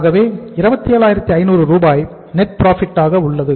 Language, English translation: Tamil, So it is the to net profit which is 27,500